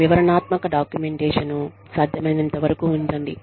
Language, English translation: Telugu, Keep detailed documentation, as far as possible